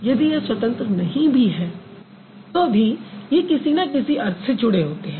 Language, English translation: Hindi, It may not have independent meaning, but it does have some meaning